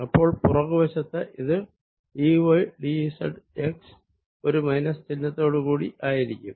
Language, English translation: Malayalam, on the backside is going to be d y d z x with a minus sign